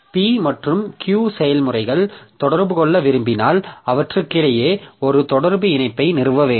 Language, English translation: Tamil, So if processes P and Q wish to communicate, they need to establish a communication link between them